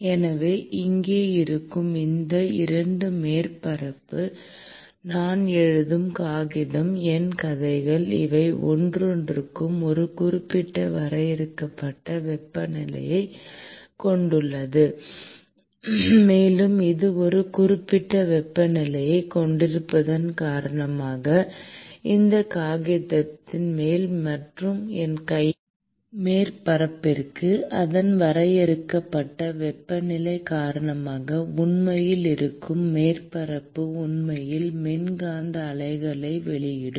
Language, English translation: Tamil, So, therefore, any 2 surface which is present here, the paper on which I am writing, my hands, each of these have a certain finite temperature; and due to the virtue of it having a certain temperature, the surface which is actually present on top of this paper and on the surface of my hand due to its finite temperature would actually emit electromagnetic waves